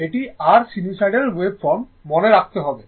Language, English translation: Bengali, It will be 1 for sinusoidal waveform, it will be 1